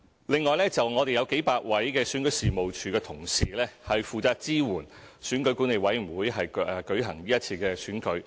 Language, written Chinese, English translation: Cantonese, 另外，我們有數百位選舉事務處的同事，負責支援選舉管理委員會舉行今次選舉。, Furthermore a few hundred staff from the Registration and Electoral Office REO will assist in the conduct of the upcoming Election by EAC